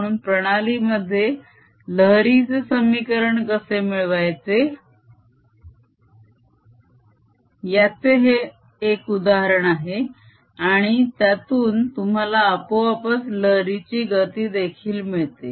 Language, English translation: Marathi, so this one example how wave equation is obtain in a system and that automatically gives you the speed of wave